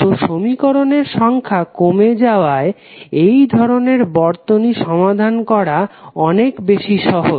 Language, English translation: Bengali, So, because of this the number of equations would be reduced and it is much easier to solve this kind of circuit